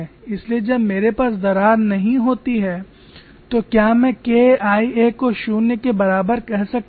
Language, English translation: Hindi, So when I do not have a crack I am justified in saying K 1a is equal to zero